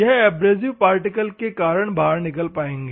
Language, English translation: Hindi, So, the dislodging of the abrasive particle goes off